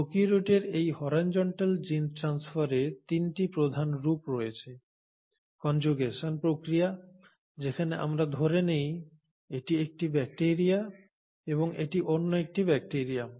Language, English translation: Bengali, There are 3 major forms of this horizontal gene transfer in prokaryotes; the process of conjugation, wherein let us assume this is one bacteria and this is another bacteria